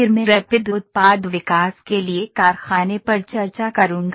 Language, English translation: Hindi, Then I will discuss factory for Rapid Product Development